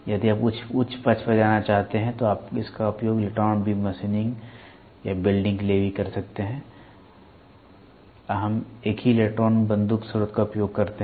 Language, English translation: Hindi, If you want to go on the higher side you can also use it for electron beam machining or welding; we use the same electron gun source